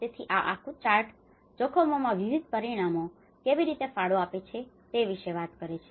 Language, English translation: Gujarati, So, this whole chart talks about how different dimensions contribute to the risks